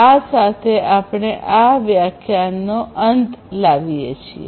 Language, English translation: Gujarati, With this we come to an end of this lecture